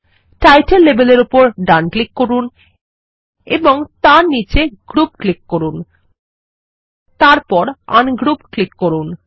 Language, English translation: Bengali, Right click on the Title label and then click on Group at the bottom then click on Ungroup